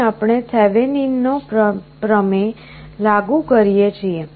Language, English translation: Gujarati, Here we apply something called Thevenin’s theorem